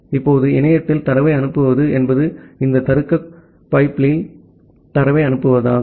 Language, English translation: Tamil, Now, sending the data over the internet means sending the data over these logical pipes